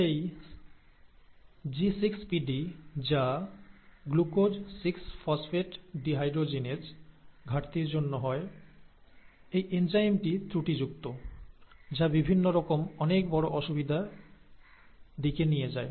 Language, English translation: Bengali, And then, this G6PD deficiency, which stands for ‘Glucose 6 Phosphate Dehydrogenase’ deficiency, this enzyme is faulty; and because this enzyme is faulty, it leads to a lot of difficulties, major difficulties, right